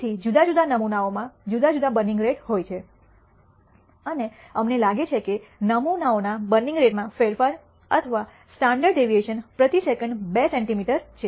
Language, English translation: Gujarati, So, di erent samples have di erent burning rates and we find that the variability or the standard deviation in the burning rate of the samples is 2 centimeter per second